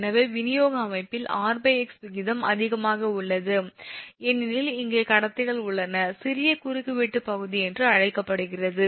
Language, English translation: Tamil, in distribution system r by x ratio is high because here conductors are off your what will call small cross sectional area